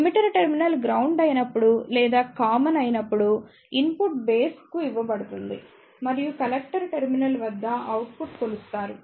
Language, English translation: Telugu, In case of emitter terminal when it is grounded or made common, then input will be given to base and the output will be measured at collector terminal this is called as Common Emitter configuration